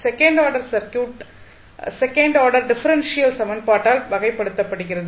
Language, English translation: Tamil, So, second order circuit is characterized by the second order differential equation